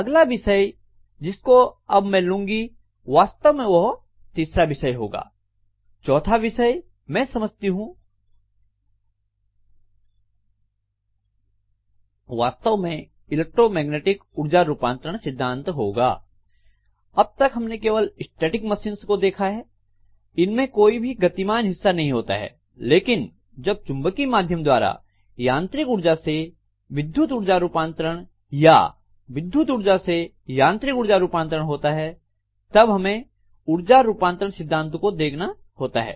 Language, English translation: Hindi, Then the next topic that I am going to have which is actually the third topic, fourth topic I suppose, fourth topic, the fourth topic actually is going to be the electromechanical energy conversion principle, until now what we had seen in the topic was only static machines, they are not having any moving parts but if mechanical to electrical energy conversion or electrical to mechanical energy conversion has to take place through a magnetic via media we have to have definitely looking at energy conversion principles themselves